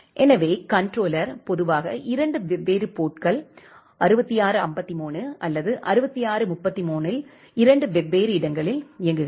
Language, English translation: Tamil, So, the controller normally runs in two different out of the two different port 6653 or 6633